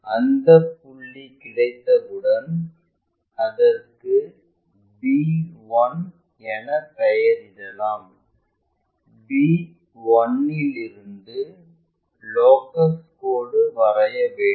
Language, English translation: Tamil, Once, we have that call that point as b 1, draw a locus line, passing through b 1